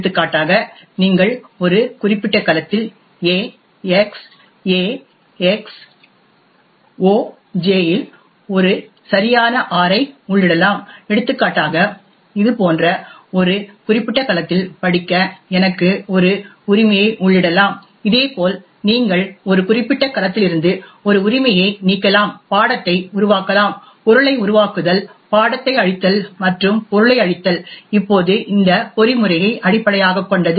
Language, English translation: Tamil, For example you can enter a right R into a particular cell A of X SI, A of X OJ, for example I can enter a right to read in a particular cell such as this, similarly you can delete a right from a particular cell, create subject, create object, destroy subject and destroy object, now based on this mechanism